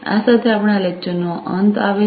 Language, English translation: Gujarati, With this we come to an end of this lecture